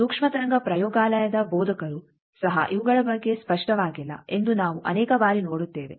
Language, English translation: Kannada, The many times we see that instructors of microwave laboratory they also are not clear about these